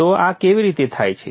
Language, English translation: Gujarati, So how is this done